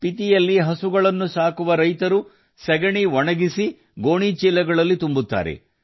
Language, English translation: Kannada, Farmers who rear cows in Spiti, dry up the dung and fill it in sacks